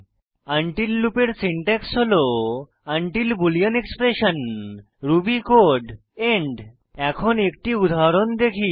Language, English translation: Bengali, The syntax for the until loop in Ruby is until boolean expression ruby code end Let us look at an example